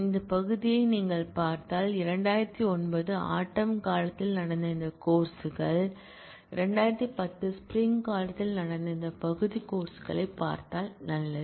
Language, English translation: Tamil, I have so, if you look at this part this courses that happened in fall 2009; if we look at this part courses that happened in spring 2010 good